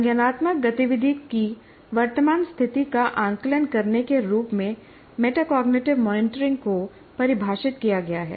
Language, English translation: Hindi, A metacognitive monitoring is defined as assessing the current state of cognitive activity